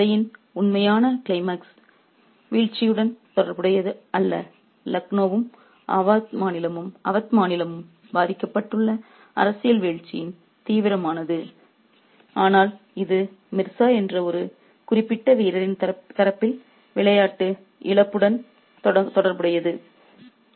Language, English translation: Tamil, So, the actual climax to the story is not related to the fall, the nether of political downfall that Lucknow and the state of oud suffers, but it is related to the loss of game on the part of one particular player called Mirza